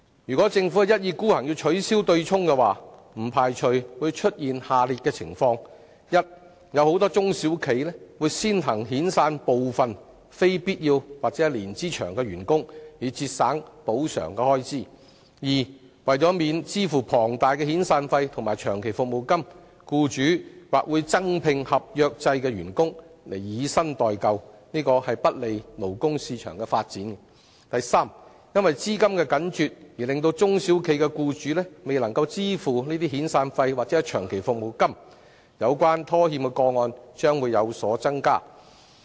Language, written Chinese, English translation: Cantonese, 如果政府一意孤行取消強積金對沖機制，不排除出現下列情況：第一，很多中小企會先行遣散部分非必要及年資長的員工，以節省賠償開支；第二，為免支付龐大的遣散費或長期服務金，僱主或會增聘合約制員工取代全職員工，窒礙勞工市場的發展；第三，中小企僱主或因資金緊絀而未能支付遣散費或長期服務金，以致拖欠個案有所增加。, If the Government is bent on abolishing the MPF offsetting mechanism it cannot be ruled out that the following situations will emerge first many SMEs will take early actions to dismiss some non - essential employees with long years of service in order to save the costs of compensation . Second to avoid making enormous severance or long service payments employers may hire additional contract staff to replace full - time staff thus hindering the development of the labour market . Third employers in SMEs may fail to make severance or long service payments owing to the liquidity crunch thus leading to an increase in the number of default cases